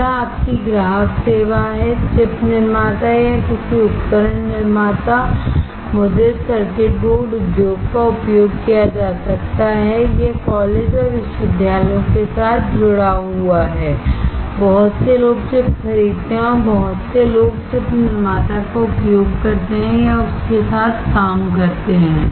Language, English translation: Hindi, Next is your customer service, can be used chip manufacturer or any equipment manufacturers, printed circuit board industry, it is linked with college and universities, lot of people buy the chip, lot of people use or work with chip manufacturer